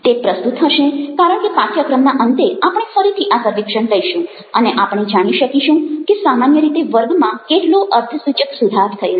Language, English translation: Gujarati, it would be relevant because at the end of the course probably, we will take this survey again and will find in general how significantly the class has improved